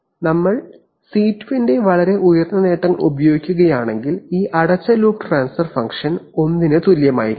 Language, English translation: Malayalam, And if we use very high gains of C2 then this closed loop transfer function will be almost equal to 1